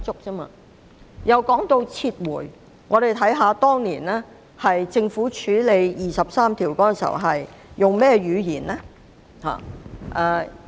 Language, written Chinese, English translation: Cantonese, 說到撤回，我們看看政府當年處理《基本法》第二十三條時所用的語言。, As for the issue of withdrawal let us recall the wording used by the Government in handling the implementation of Article 23 of the Basic Law back then